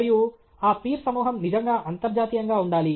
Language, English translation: Telugu, And that peer group must be truly international